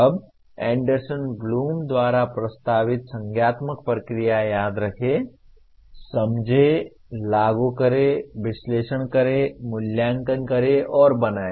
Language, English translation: Hindi, Now, the cognitive processes that we have as proposed by Anderson Bloom are Remember, Understand, Apply, Analyze, Evaluate, and Create